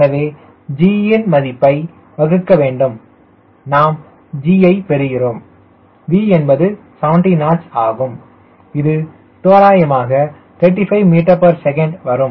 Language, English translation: Tamil, so the value of g ok, this is divided by, of course we are getting g v is seventy knots, which is roughly thirty five meter per second